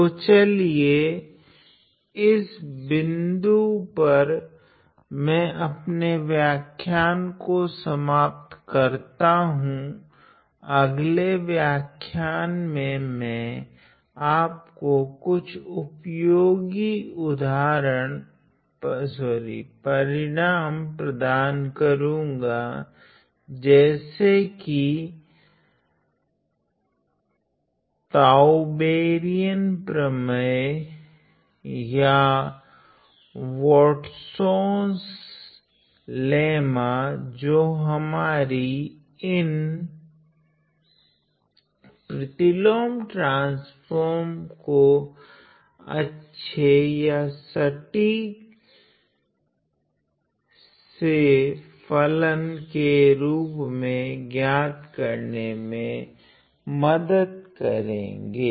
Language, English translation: Hindi, So, let me just end this lecture at this point in the next lecture i am going to provide you with some useful results known as the Tauberian theorems or the Watsons lemma which helps us to calculate some of these inverse transforms in a very neat or a compact fashion